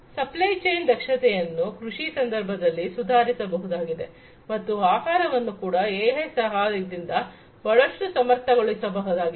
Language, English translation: Kannada, Supply chain efficiency also can be improved in supply chain in the context of agriculture and food could also be made much more efficient with the help of AI